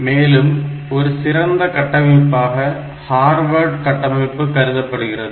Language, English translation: Tamil, So, that type of architecture is known as Harvard architecture